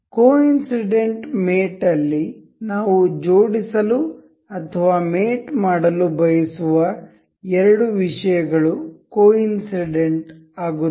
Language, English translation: Kannada, In coincident mate the two things that we we want to assemble or mate will coincide